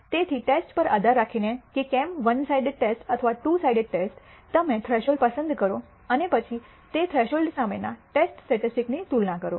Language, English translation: Gujarati, So, depending on the type of test whether its two sided or one sided you choose thresholds and then compare the test statistics against those thresholds